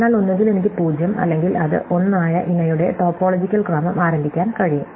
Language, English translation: Malayalam, So, I can either start my topological order with either 0 or with 1